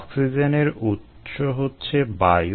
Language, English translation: Bengali, the oxygen was, the oxygen source was air